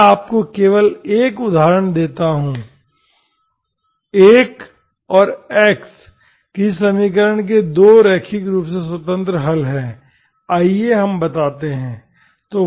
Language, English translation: Hindi, I simply give you an example, 1 and x are 2 linearly independent solutions of some equation let us say